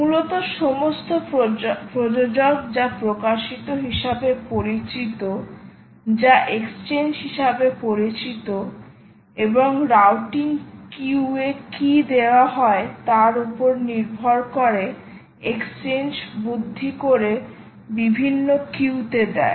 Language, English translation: Bengali, basically, all producers right to what are known as published, what are known as exchanges and the exchange, and, depending on what is given in ah, the routing q, that exchange will intelligently give it to different queues